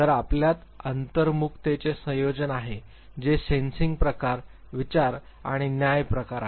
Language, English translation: Marathi, So, you have a combination of introversion who is sensing type, thinking and judging type